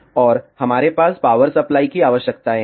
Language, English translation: Hindi, And we have power supply requirements